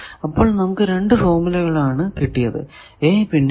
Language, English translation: Malayalam, So, you get this formula it is we are calling equation b